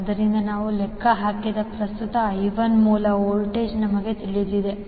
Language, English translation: Kannada, So, source voltage we know current I1 we have calculated